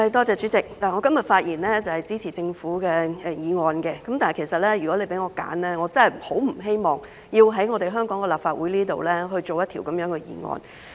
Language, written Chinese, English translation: Cantonese, 主席，我今天發言支持政府的法案，但如果讓我選擇，我真的很不希望在香港立法會制定這樣的法案。, President I speak in support of the Governments Bill today but if I can make a choice I really do not wish to see such a bill enacted by the Legislative Council of Hong Kong